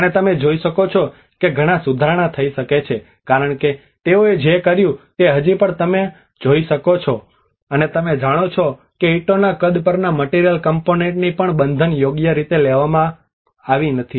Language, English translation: Gujarati, And you can see that a lot of improvement could be done because whatever they have done it still one can see that you know the bonding has not been appropriately taken care of even the material component on the bricks sizes